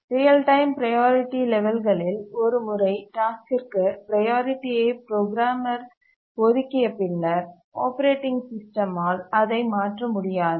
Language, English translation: Tamil, What we mean by real time priority levels is that once the programmer assigns priority to the tasks, the operating system does not change it